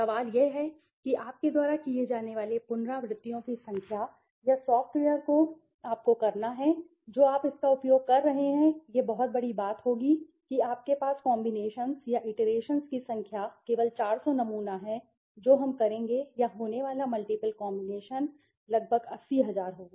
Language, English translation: Hindi, The question is that the number of iterations that the you know you have to do or the software has to do which you are using it would be very large suppose you have only 400 sample the number of combinations or the iterations that we will do or the multiple combination that will happen may be would be around 80000 right